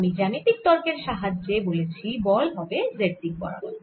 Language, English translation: Bengali, so, geometrically, i have argued that the net force will be in the z direction